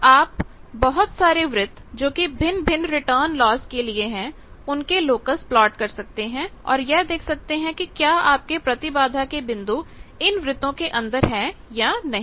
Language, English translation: Hindi, So, you can plot locus various circles of various or various return losses and see that whether that your impedance points they are within that circle